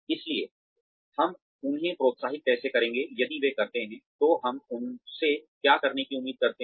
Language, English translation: Hindi, So, how will we encourage them, if they do, what we expect them to do